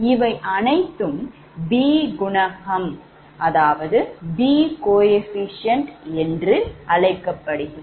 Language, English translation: Tamil, so this is actually called b coefficient